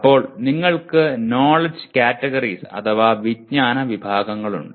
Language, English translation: Malayalam, Then you have knowledge categories